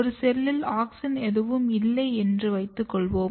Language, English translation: Tamil, Auxin, Let us assume that a cell has auxin